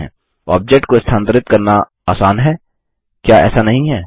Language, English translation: Hindi, Moving objects is simple, isnt it